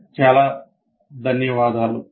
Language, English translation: Telugu, Thank you very much for your attention